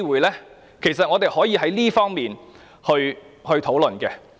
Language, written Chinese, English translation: Cantonese, 事實上，我們可以在這方面多作討論。, As a matter of fact we can have more discussions from various perspectives